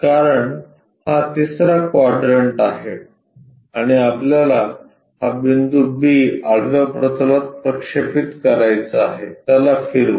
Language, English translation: Marathi, Because, this third quadrant and what we want to really project is project this point B onto horizontal plane rotate it